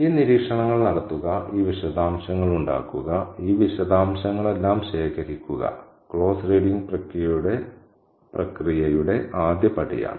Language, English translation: Malayalam, Making these observations, making these details, collecting all these details constitutes the first step in the process of close reading